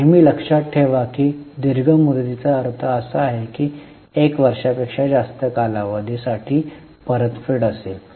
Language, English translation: Marathi, Always keep in mind that long term means one which is repayable for more than one year